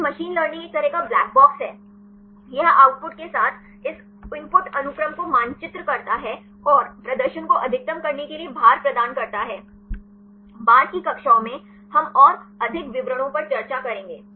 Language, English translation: Hindi, Then the machine learning it is a kind of black box; it maps this input sequence with the output and assign weights to maximize the performance; in the later classes we will discuss more details